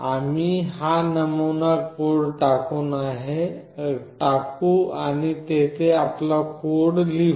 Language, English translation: Marathi, We will just cut out this sample code and we will be writing our code in here